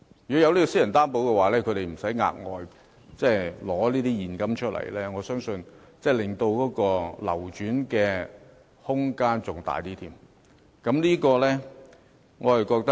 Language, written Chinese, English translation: Cantonese, 如有私人擔保，買家便無需預備額外現金，我相信樓市的流轉空間將會更大。, With personal guarantee home buyers need not have additional cash in hand . I believe this initiative can boost the turnover in the property market